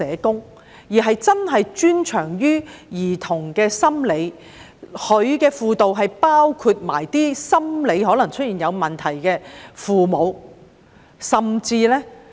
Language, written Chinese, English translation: Cantonese, 當局應該讓真正專長於兒童心理的專家提供輔導，包括輔導心理可能出現問題的父母。, Experts specialized in child psychology should also be engaged to provide counselling services which include providing counselling services for parents who may have suffered from psychological problems